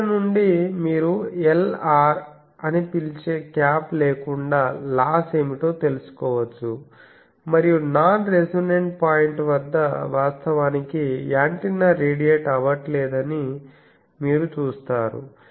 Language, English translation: Telugu, So, from here you can find out what is the loss in without the cap that is calling Lr and these you see that at a non resonant point actually antenna is not radiating